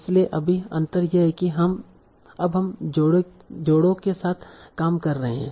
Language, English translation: Hindi, So right now the difference is that we are working with the payers